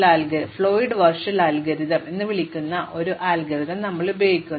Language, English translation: Malayalam, So, this gives us an immediate algorithm which is called the Floyd Warshall algorithm